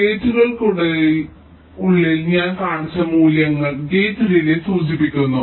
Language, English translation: Malayalam, and the values which i shown inside the gates, they indicate the gate delays